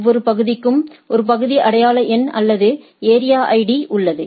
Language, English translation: Tamil, Each area has a area identification number or area ID right